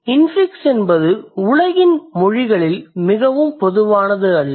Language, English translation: Tamil, And infix is not a very common phenomenon in the world's languages